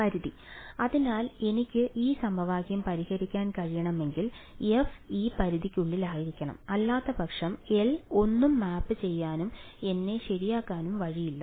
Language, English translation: Malayalam, The range right; so if I am going to be able to solve this equation f should be inside this range, otherwise there is no way that L will map anything and get me f alright